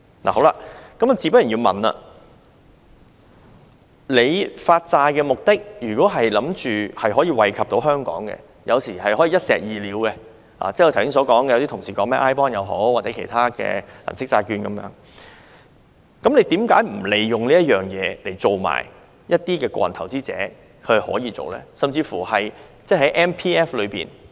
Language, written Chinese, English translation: Cantonese, 我想問的是，當局發債的目的如果是為了益惠香港，有時是可以一石二鳥的，剛才有些同事也提到 iBond 或其他銀色債券等，為何不利用這次發債令一般的個人投資者也可以進行投資呢？, Then I wish to ask If this issuance programme of the Government is for the benefit of Hong Kong sometimes the Government can kill two birds with one stone and as some colleagues mentioned iBond or the Silver Bond earlier why does the Government not seize this opportunity of bond issuance to allow investment by ordinary individual investors too?